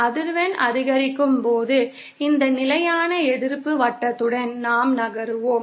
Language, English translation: Tamil, As the frequency increases, we will be moving along this constant resistance circle